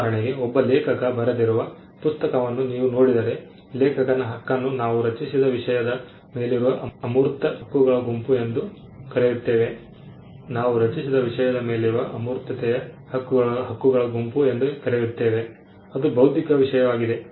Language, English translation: Kannada, For instance, if you look at a book that has been authored by a writer a person, then the right of the author is what we call a set of intangible rights which exist in the matter that he created which is the intellectual content